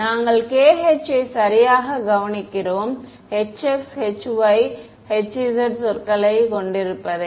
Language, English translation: Tamil, We notice that k h has exactly the h x, h y, h z terms